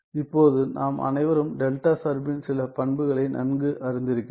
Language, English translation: Tamil, Now we all we are quite familiar with some of the properties of delta function